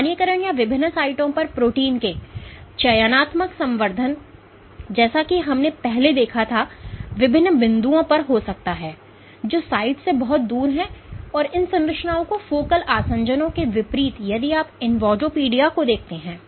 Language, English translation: Hindi, So, the localization or the selective enrichment of proteins at different sites as we saw earlier, might happen at different points which are far away from the site and these structures so, in contrast to focal adhesions if you look at invadopodia